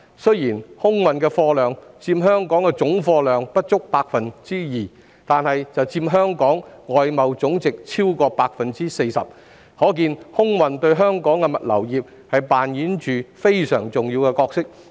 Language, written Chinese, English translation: Cantonese, 雖然空運的貨量佔香港的總貨運量不足 2%， 但卻佔香港外貿總值超過 40%， 可見空運對香港的物流業扮演着非常重要的角色。, Although air freight accounts for less than 2 % of Hong Kongs total freight throughput it makes up more than 40 % of Hong Kongs total external trade by value . It is thus evident that the air cargo industry plays an important role in the logistics sector in Hong Kong